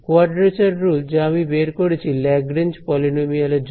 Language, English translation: Bengali, The quadrature rule which I had derived for Lagrange polynomials